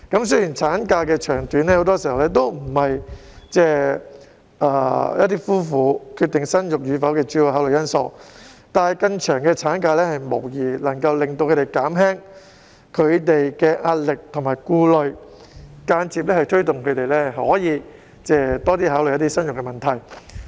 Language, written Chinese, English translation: Cantonese, 雖然產假的長短，很多時候並不是夫婦決定生育與否的主要考慮因素，但更長的產假無疑能夠令他們減輕壓力和顧慮，間接推動他們多考慮生育問題。, Even though the length of maternity leave is not usually the decisive factor for a couple to consider whether they should have a baby a longer maternity leave will undoubtedly ease their pressure and anxiety which will indirectly encourage them to think about having a baby